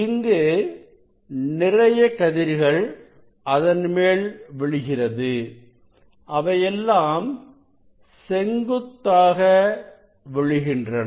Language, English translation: Tamil, there are many rays will fall on it, but all of them will fall on this system this at perpendicularly